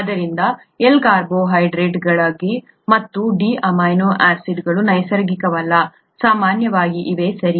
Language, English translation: Kannada, So L carbohydrates and D amino acids are not natural, usually, okay